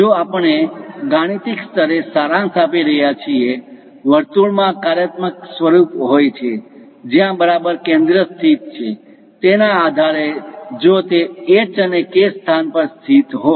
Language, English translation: Gujarati, If we are summarizing at mathematical level; a circle have a functional form based on where exactly center is located, if it is located at h and k location